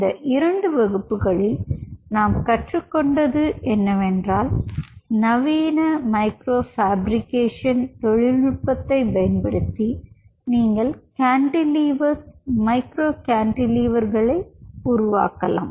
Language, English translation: Tamil, so what we have learned here in these two classes is how, using the modern micro fabrication technology, you can develop cantilever, cantilevers, micro cantilevers